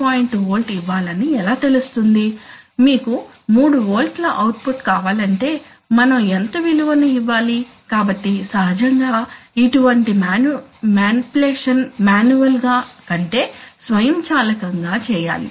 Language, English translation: Telugu, 1 volt for 1 volt how do we know let us say if you want an output of 3 volts what output we have to give, by how much, so naturally it should not require a manual, you know, manipulation